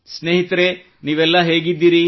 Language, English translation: Kannada, Friends, how are you